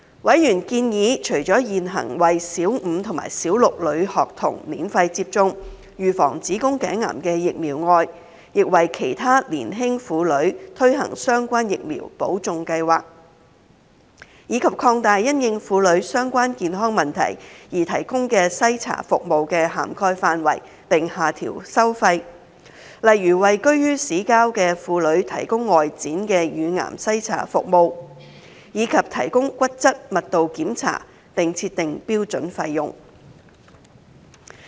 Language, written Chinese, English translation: Cantonese, 委員建議，除了現行為小五和小六女學童免費接種預防子宮頸癌的疫苗外，當局亦為其他年輕婦女推行相關疫苗補種計劃，以及擴大因應婦女相關健康問題而提供的篩查服務的涵蓋範圍並下調收費，例如為居於市郊的婦女提供外展乳癌篩查服務，以及提供骨質密度檢查並設定標準費用。, Members suggested that apart from the current free vaccination for cervical cancer prevention given to Primary 5 and 6 female students the Administration should also launch a catch - up programme for young ladies other than Primary 5 and 6 students to receive relevant vaccination . There was also a suggestion that the Administration should widen the coverage and lower the cost of screening services provided in respect of women - related health problems eg . providing outreach breast cancer screening service for women living in the outskirts of town and setting a standardized charge for the provision of bone mineral density test